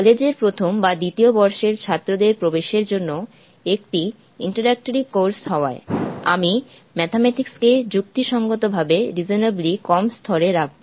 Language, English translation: Bengali, Being an introductory course meant for the first or second year students entering the college; I would keep the mathematics to a resonably low level